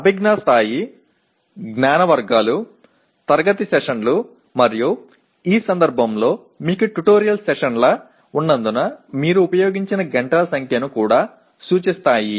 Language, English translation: Telugu, Cognitive level, knowledge categories, classroom sessions and because in this case you have tutorial sessions you also represent number of hours that are used